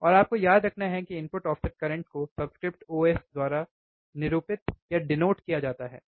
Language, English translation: Hindi, And is denoted as input offset current you have to remember input offset current is denoted by I in the subscript, iIos